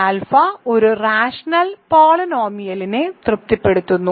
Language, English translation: Malayalam, This is because alpha satisfies a rational polynomial